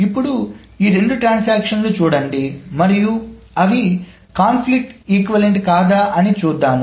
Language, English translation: Telugu, Now look at these two transactions and let us see whether they are conflict equivalent or not